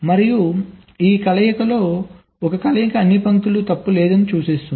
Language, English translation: Telugu, out of this combinations, one combination will denote all lines are fault free